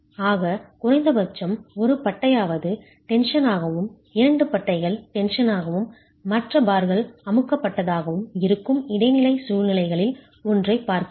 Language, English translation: Tamil, So I'm looking at one of the intermediate situations where at least one bar is in tension, two bars are in tension and the other bars are in compression